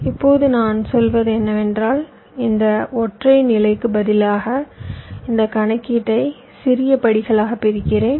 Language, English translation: Tamil, now what i do, what i say, is that instead of this single stage, i divide this computation into smaller steps